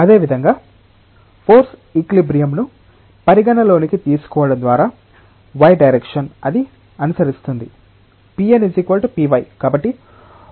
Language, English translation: Telugu, Similarly, by considering the force equilibrium along the y direction, it will follow that p n equal to p y